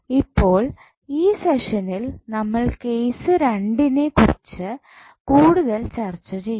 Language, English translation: Malayalam, Now, in this session we will discuss more about the case 2, what is case 2